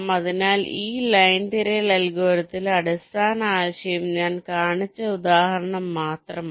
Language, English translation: Malayalam, so in this line search algorithm, the basic idea is that just the example that i have shown